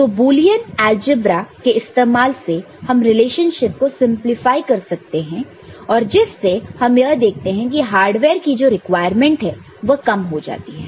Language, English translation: Hindi, So, by using Boolean algebra by simplifying relationship, we see that the hardware requirement is reduced